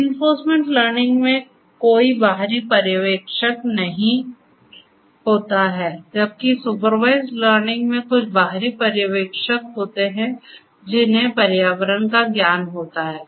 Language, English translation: Hindi, So, in reinforcement learning there is no external supervisor whereas, in supervised learning there is some external supervisor who has the knowledge of the environment